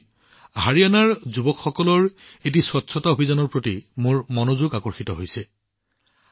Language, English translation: Assamese, That's how my attention was drawn to a cleanliness campaign by the youth of Haryana